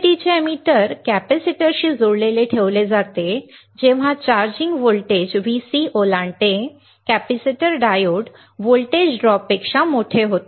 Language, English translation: Marathi, The emitter of the UJT is kept connected to the capacitor when the charging voltage Vc crosses the capacitor becomes greater than diode voltage drop